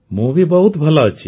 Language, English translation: Odia, I am very fine